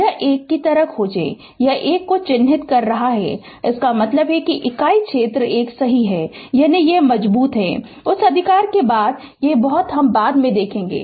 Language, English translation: Hindi, This 1, if you will find it is marking 1 means it unit area is 1 right that is strength, we will see later much after that right